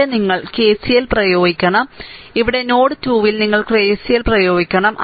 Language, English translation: Malayalam, So, here you have to apply KCL, and here at node 2 you have to apply KCL